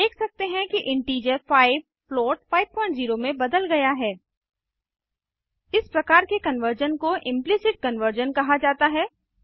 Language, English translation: Hindi, We can see that the integer 5 has been converted to float 5.0 This type of conversion is called implicit conversion